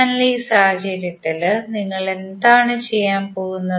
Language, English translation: Malayalam, So in this case, what we are going to do